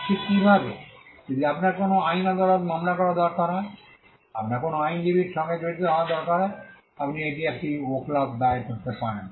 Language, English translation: Bengali, Just how, if you need to file a case before a court of law, you need to engage an advocate, you do that by filing a vakalat